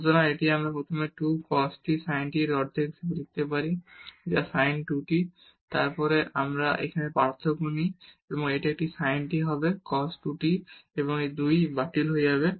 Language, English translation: Bengali, So, this we can write first as half of 2 cos t sin t which is sin 2 t and then when we take the differentiation here this will be a sin t will be cos 2 t and this 2 will get cancelled